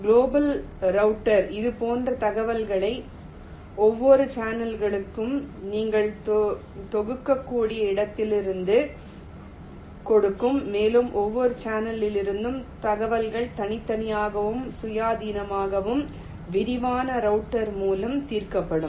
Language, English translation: Tamil, the global router will give information like this, from where you can compile information for every channel and the information from every channel will be solved in individually and independently by the detailed router